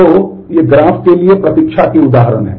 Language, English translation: Hindi, So, these are examples of the wait for graph